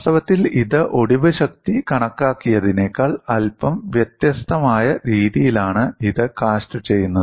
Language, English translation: Malayalam, In fact, this is cast in a slightly different fashion than the way we have a calculated the fracture strength